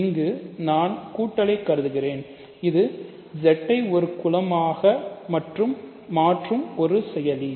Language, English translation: Tamil, So, here I am considering the addition, which is the only operation which makes Z a group